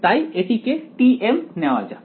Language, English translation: Bengali, So, let us take t m